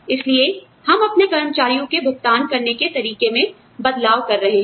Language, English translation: Hindi, So, we are changing the manner in which, we pay our employees